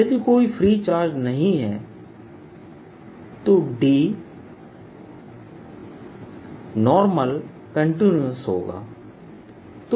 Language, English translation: Hindi, if no free charge, then d perpendicular is continues